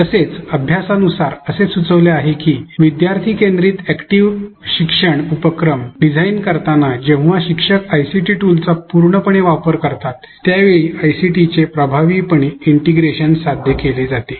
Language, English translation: Marathi, Also studies have suggested that effective integration of ICT is achieved when instructors design student centered active learning activities exploiting the affordances of the ICT tool